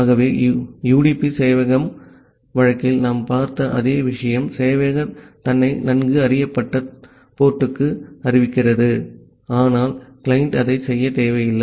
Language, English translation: Tamil, So, the same thing as we have seen for the UDP server case that, the server is announcing itself to a well known port, but the client need not to do it